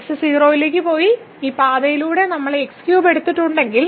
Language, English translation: Malayalam, So, if goes to 0 and we have taken this cube along this path